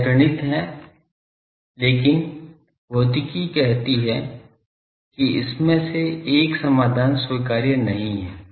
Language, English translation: Hindi, This is mathematics but physics says that out of this one solution is not acceptable